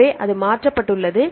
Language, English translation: Tamil, So, it is changed